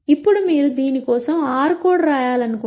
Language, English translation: Telugu, Now if you want to write an r code for this